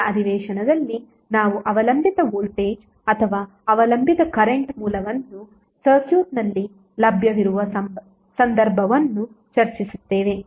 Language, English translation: Kannada, In next session we will discuss the case where we have dependent voltage or dependent current source is also available in the circuit